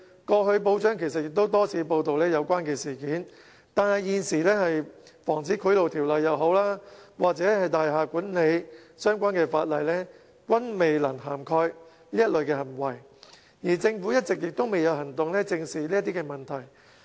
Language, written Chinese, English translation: Cantonese, 報章過去其實也曾多次報道相關事件，但無論是現時的《防止賄賂條例》或大廈管理相關法例，均未能涵蓋這類行為，而政府一直也未有行動正視這類問題。, In fact the media frequently reported similar incidents before yet these practices are not within the scope of the existing Prevention of Bribery Ordinance or other legislation related to building management and the Government has taken no action to seriously deal with these problems